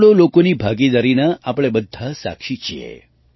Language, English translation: Gujarati, We are all witness to the participation of crores of people in them